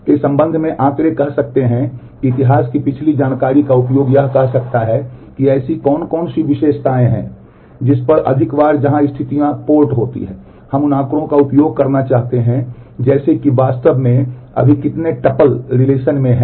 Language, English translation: Hindi, Statistics in terms of we might use the information past history information of say what is the what are the attributes on which more often the where conditions are port we might want to use statistics like how many tuples actually exist in the relation right now and so, on